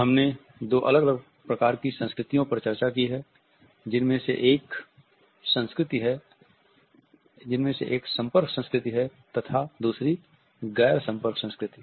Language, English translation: Hindi, We have discussed two different types of cultures which are the contact culture as well as the non contact culture